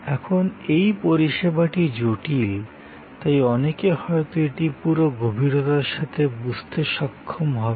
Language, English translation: Bengali, Now, this services complex, so many people may not be able to understand it in full depth